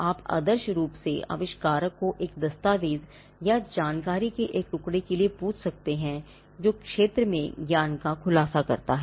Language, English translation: Hindi, You could ideally ask the inventor for a document or a piece of information which discloses the knowledge in the field